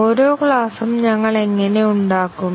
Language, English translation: Malayalam, How do we make each class